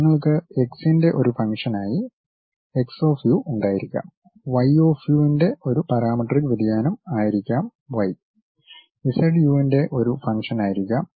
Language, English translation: Malayalam, You may be having x as a function of x of u; y might be a parametric variation y as a function of u; z might be function of u